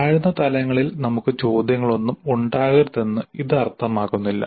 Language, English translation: Malayalam, Now this is not imply that we should not have any questions at lower levels